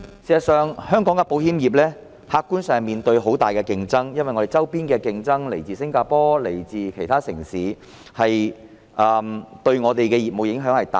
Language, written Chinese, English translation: Cantonese, 事實上，香港的保險業客觀上面對很大的競爭，我們周邊的競爭來自新加坡和其他城市，對我們的業務影響頗大。, In fact objectively speaking Hong Kongs insurance industry faces very keen competition from our neighbouring areas including Singapore and other cities . Their impacts on our businesses are significant